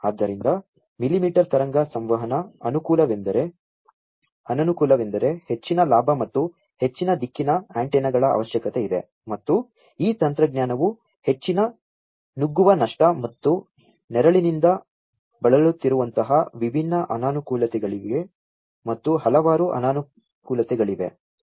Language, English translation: Kannada, So, disadvantages of millimetre wave communication is that there is a need for high gain, and high directional antennas, and there are different other disadvantages such as have you know this technology suffers from high penetration loss, and shadowing, and there are many more different other disadvantages